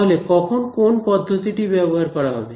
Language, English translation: Bengali, So now which method to use when